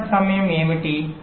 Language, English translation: Telugu, setup time is what